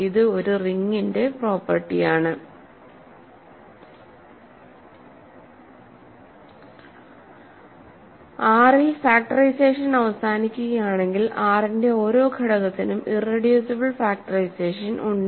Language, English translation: Malayalam, So, the statement is hence the conclusion is if factorization terminates in R, then every element of R has an irreducible factorization ok